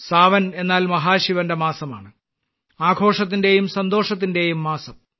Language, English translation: Malayalam, Sawan means the month of Mahashiv, the month of festivities and fervour